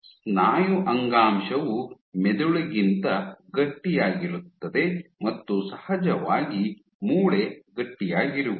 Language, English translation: Kannada, Muscle tissue is stiffer than brain and of course the stiffest is bone